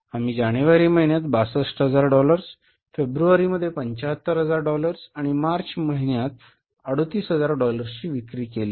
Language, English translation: Marathi, So we sold in the month of January for 62,000 worth of dollars, save 75,000 worth of dollars in Feb and 38,000 worth of dollars in the month of March